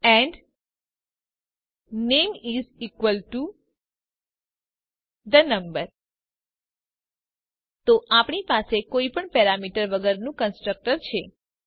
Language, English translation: Gujarati, And name is equal to the name So we have a constructor with two parameters